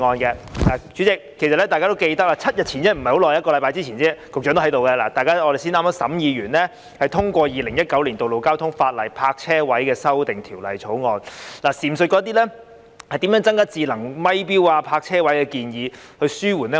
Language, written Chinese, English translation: Cantonese, 代理主席，大家都記得，一星期前，局長也在席，我們剛剛完成審議，通過《2019年道路交通法例條例草案》，當時亦有討論如何增加智能收費錶、泊車位等建議，以紓緩交通擠塞。, Deputy President as we remember a week ago the Secretary was also present . We had just completed the scrutiny and passed the Road Traffic Legislation Amendment Bill 2019 . At that time we also discussed the proposals about how to provide more smart parking meters and parking spaces to alleviate traffic congestion